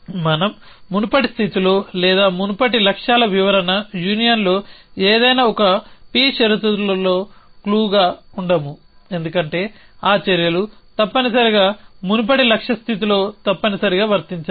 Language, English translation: Telugu, We do not then to be clue in the in the previous state or the previous goals description union any one p conditions of a because that actions must be true in must be applicable in the previous goal state essentially